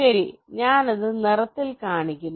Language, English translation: Malayalam, well, i am showing it in the colour